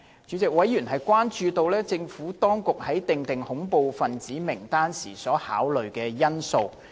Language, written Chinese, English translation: Cantonese, 主席，委員關注到政府當局在訂定恐怖分子名單時所考慮的因素。, President members have expressed concern about the considerations taken into account by the Administration when determining the list of terrorists